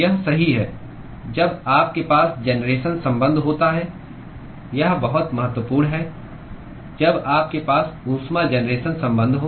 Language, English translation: Hindi, That is right, when you have a generation term this is very important when you have a heat generation term